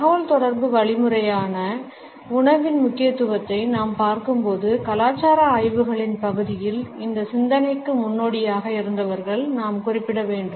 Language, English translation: Tamil, When we look at the significance of food as a means of communication, we have to refer to those people who had pioneered this thought in the area of cultural studies